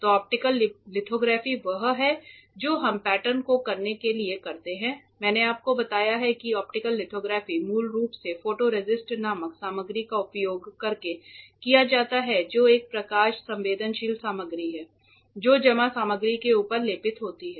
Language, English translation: Hindi, So, optical lithography is what we perform to pattern correct I have told you optical lithography is fundamentally done using a material called photoresist which is a photosensitive material that is coated on top of the deposited material